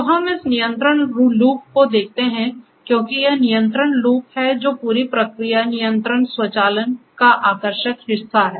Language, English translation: Hindi, So, we let us look at this Control Loop because it is this control loop which is the attractive part in the whole process control automation and so on